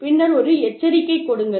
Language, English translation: Tamil, And then, give a warning